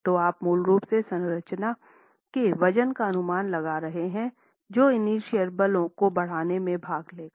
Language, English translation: Hindi, So, you are basically making an estimate of the weight of the structure that will participate in developing inertial forces